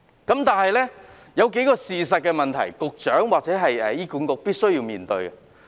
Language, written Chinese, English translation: Cantonese, 可是，當中有數項事實是局長或醫院管理局必須面對的。, Nonetheless there are certain facts which the Secretary or the Hospital Authority HA must face squarely